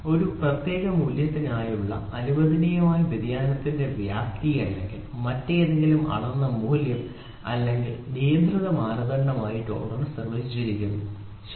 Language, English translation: Malayalam, Tolerance are defined as the magnitude of permissible variation magnitude of permissible variation of a dimension or any other measured value or control criteria for a for a specified value, ok